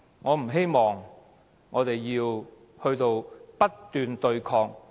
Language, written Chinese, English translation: Cantonese, 我不希望我們要不斷對抗，浪費生命。, I do not wish to see the continuation of incessant confrontation and waste of time